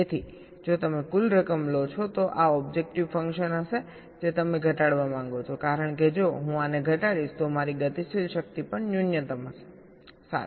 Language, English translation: Gujarati, so if you take the sum total, this will be the objective function that you want to minimize, because if i minimize this, my dynamic power will also be minimum